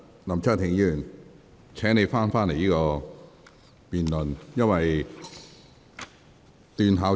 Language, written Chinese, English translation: Cantonese, 林卓廷議員，請你返回這項辯論的議題。, Mr LAM Cheuk - ting please come back to the subject of this motion debate